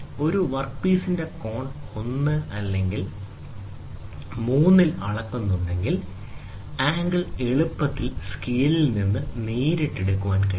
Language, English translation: Malayalam, If the angle of a work part is being measured in 1 or 3, the angle can be readily it can be read directly from the scale